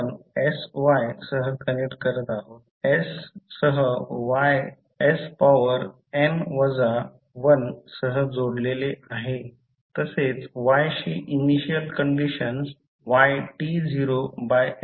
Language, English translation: Marathi, You are connecting with sy is connected with y with s to the power n minus1 plus the initial condition for y that is y t naught by s